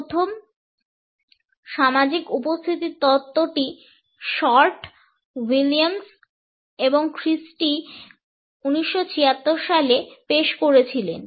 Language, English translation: Bengali, The first theory social presence theory was put forward by Short, Williams and Christy in 1976